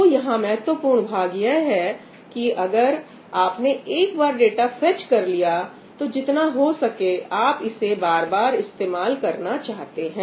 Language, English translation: Hindi, what is the important part here the important part is that once you have fetched the data, you want to reuse it as much as possible